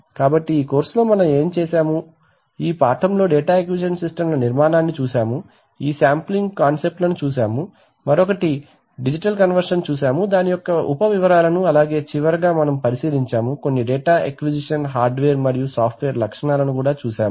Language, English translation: Telugu, So we have, so what we have done during this course, this lesson we have seen the architecture of data acquisition systems, we have seen this sampling concepts, we have seen the sub details of another to digital conversion and finally we have taken a look at some data acquisition hardware and software features